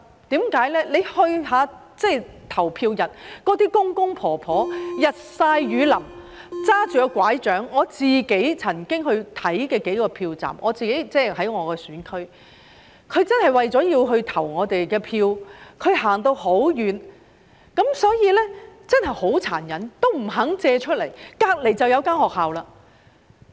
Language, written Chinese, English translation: Cantonese, 大家在投票日看看那些公公婆婆，日曬雨淋，拿着拐杖，我曾經到我的選區看過幾個票站，他們真的為了投我們一票而走到很遠，所以真的很殘忍，這樣也不願意借出場地——旁邊便有一間學校了。, I went to a few polling stations in my constituency and some elderly people really walked a long way with their walking sticks in either a sunny or rainy polling day to vote for us . It is thus really cruel that a school is unwilling to make available its premises when it is right in the vicinity